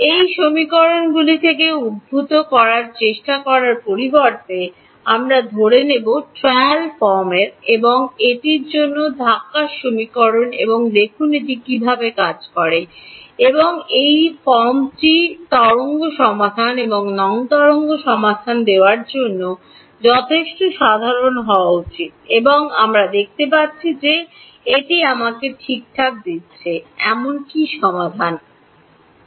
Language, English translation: Bengali, Instead of trying to derive it from the equations we will assume a trial form and push it into the equation and see whether it works ok, and this trail form should be general enough to give wave solution and non wave solution also and we can see what is the solution that it is giving me ok